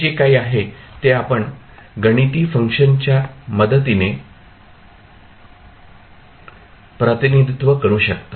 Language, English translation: Marathi, So, that would be something which you can represent with the help of a mathematical function